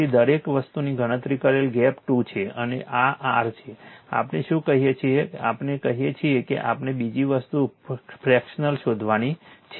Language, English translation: Gujarati, So, everything is computed gap is 2 right and this is your; what you call we are what we call we have to find out fraction other thing